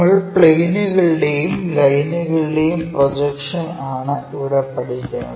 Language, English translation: Malayalam, We are covering Projection of Planes and Lines